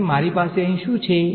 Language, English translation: Gujarati, And what do I have over here